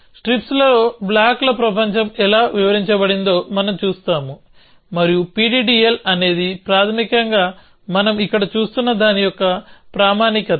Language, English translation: Telugu, So, we will we will see how blocks world is described in strips essentially and PDDL is basically is kind of a standardization of what we are seeing here essentially